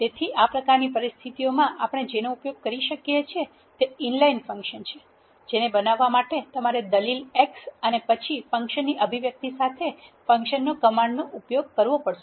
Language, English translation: Gujarati, So, what we can use in this kind of situations is an inline functions to create an inline function you have to use the function command with the argument x and then the expression of the function